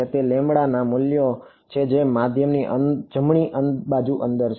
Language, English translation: Gujarati, So, there are values of lambda which are inside the medium right